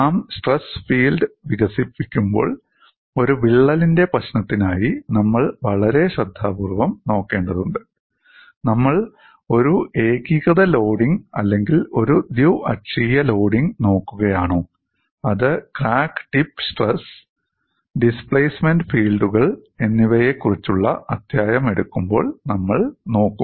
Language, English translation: Malayalam, When we develop the stress field we have to look at very carefully for the problem of a crack, are we looking at a uniaxial loading or a biaxial loading, which we would look when we take up the chapter on crack tip stress and displacement fields